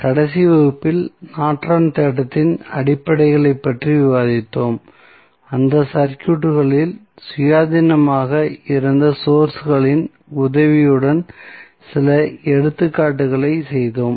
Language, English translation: Tamil, So, in the last class we discuss about the basics of Norton's theorem and we did some the examples with the help of the sources which were independent in those circuits